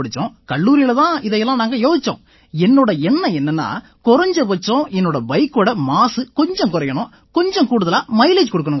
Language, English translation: Tamil, And in college we thought about all of this and it was my idea that I should at least reduce the pollution of my motorcycle and increase the mileage